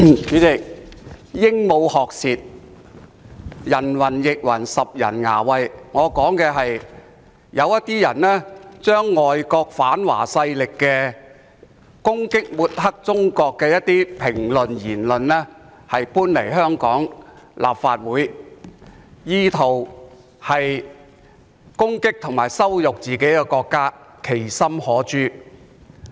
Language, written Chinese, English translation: Cantonese, 主席，鸚鵡學舌，人云亦云，拾人牙慧，我所指的是有些人把外國反華勢力的攻擊，以及抹黑中國的言論搬來香港立法會，意圖攻擊和羞辱自己的國家，其心可誅。, President talking like a parrot echoing others views and picking up others lines what I am trying to say is that some people are imitating what foreign anti - Chinese forces did to attack and bad mouth China in the Legislative Council of Hong Kong in an attempt to attack and humiliate their own nation . Their motive is indeed condemnable